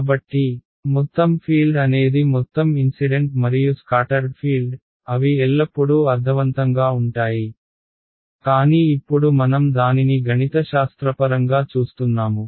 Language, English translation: Telugu, So, total field is the sum of incident and scattered field intuitively they are always made sense, but now we are seeing it mathematically